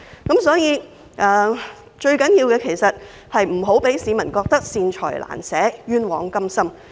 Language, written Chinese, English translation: Cantonese, 政府不應讓市民認為它"善財難捨，冤枉甘心"。, The Government should not make people feel that it is tight - fisted for benevolent causes but lavish on unworthy causes